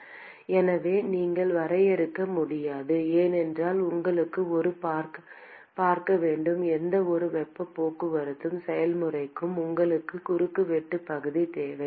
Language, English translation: Tamil, So, you cannot define because the you need a see, for any heat transport process, you need a cross sectional area